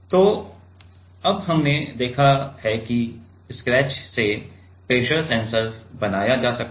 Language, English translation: Hindi, So, now we have seen that have a pressure sensor can be made from scratch